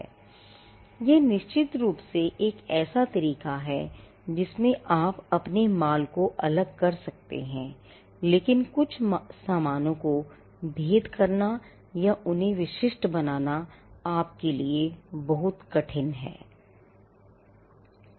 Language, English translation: Hindi, Yes, that is certainly a way in which you can distinguish your goods, but certain goods it is very hard for you to distinguish or to make them unique from what they actually are